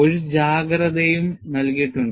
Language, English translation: Malayalam, And, there is also a caution given